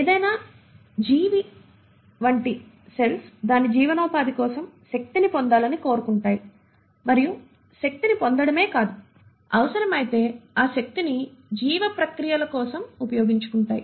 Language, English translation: Telugu, Cells like any living organism would like to acquire energy for its sustenance and not just acquire energy, if the need be, utilise that energy for life processes